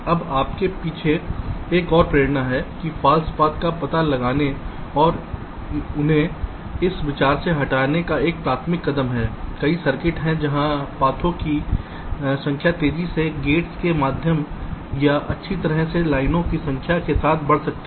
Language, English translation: Hindi, now, another motivation behind having ah this apriory step of detecting false path and and removing them from the consideration is that there are many circuits where number of paths can grow exponentially with the number of gates or in number of lines